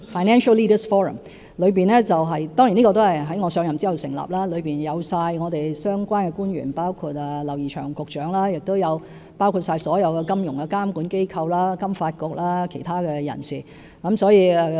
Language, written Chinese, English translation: Cantonese, 這個委員會也在我上任後成立，成員涵蓋相關官員，包括劉怡翔局長，以及所有金融監管機構、香港金融發展局和其他人士。, The Forum was established after I assumed office . Its membership covers all relevant public officers including Mr James Henry LAU and all financial regulators the Financial Services Development Council Hong Kong as well as other parties